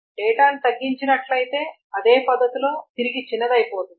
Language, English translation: Telugu, And if the data is reduced, it can collapse back in the same manner